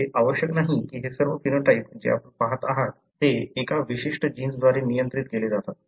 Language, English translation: Marathi, It need not be that all these phenotypes that you see are regulated by one particular gene, but it could be combination of them